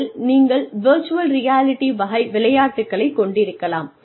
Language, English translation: Tamil, You could have, virtual reality type games